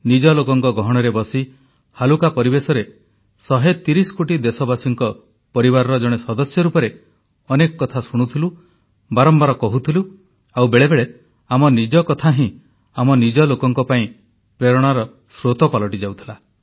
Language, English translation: Odia, It used to be a chat in a genial atmosphere amidst the warmth of one's own family of 130 crore countrymen; we would listen, we would reiterate; at times our expressions would turn into an inspiration for someone close to us